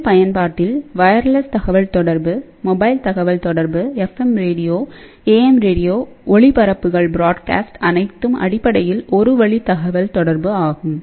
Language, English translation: Tamil, So, in civil application, we have a wireless communication mobile communication is part of this particular thing, here FM radio, AM radio, all the broadcasts are basically one way communication